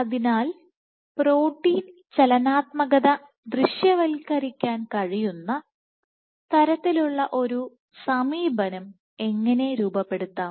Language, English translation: Malayalam, So, how can we devise an approach such that we are able to visualize protein dynamics